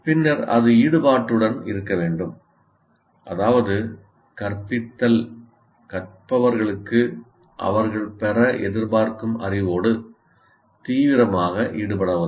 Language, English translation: Tamil, That means, instruction should enable learners to actively engage with the knowledge they are expected to acquire